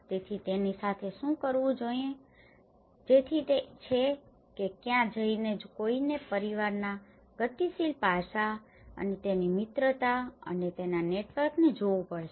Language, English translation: Gujarati, So, what to do with it so that is where one has to look at the dynamic aspect of the family and his friendship and the network of it